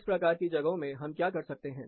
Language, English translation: Hindi, What do we do in these types of things